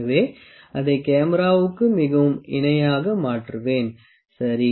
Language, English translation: Tamil, So, let me make it very parallel to the camera, ok